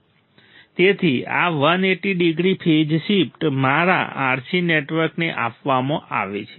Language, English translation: Gujarati, So, this 180 degree phase shift is provided to my RC network